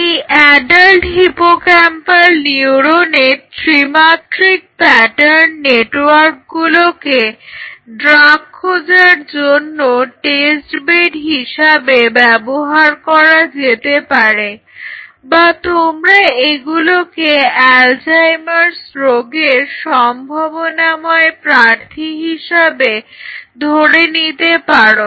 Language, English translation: Bengali, 3D pattern network of adult hippocampal neuron as test bed for screening drugs or you can say potential drug candidates against Alzheimer’s disease